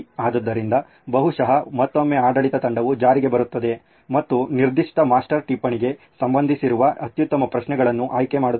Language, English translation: Kannada, So probably again the administrative team will come into place and select the best set of questions that are tied to that particular master note